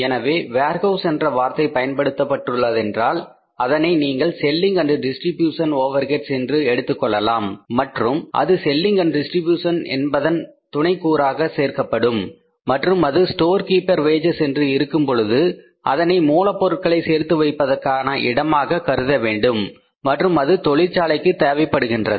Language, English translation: Tamil, So, if the term used is warehouse you consider that it is a selling and distribution overhead and it has to be added in the selling and distribution sub component and if it is storekeeper wages then you have to consider it as a raw material storing part and that is required in the factory or for the factory